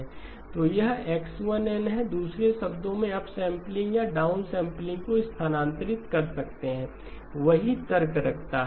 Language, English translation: Hindi, So this is X1 of N, in other words you can move the upsampling or downsampling, same argument holds